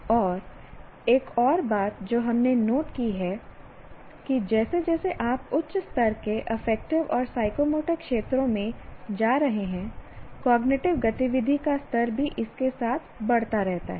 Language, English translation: Hindi, And another thing that we noticed or noted is that as you keep going higher up in the higher levels of affective and psychomotor domains, the level of cognitive activity also keeps on increasing with it